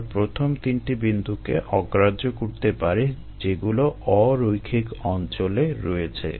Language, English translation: Bengali, we are going to drop the first three points which are in the nonlinear region